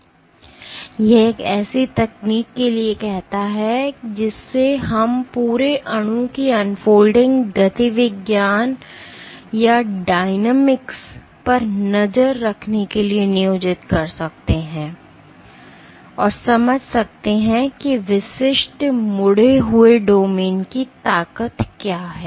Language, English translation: Hindi, So, this calls for a technique which we can employ for tracking the unfolding dynamics of the whole molecule and understand what is the strength of individual folded domains